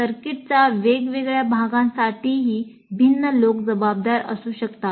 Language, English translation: Marathi, And many different people may be responsible for different parts of the circuit as well